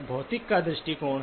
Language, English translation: Hindi, There is a physics perspective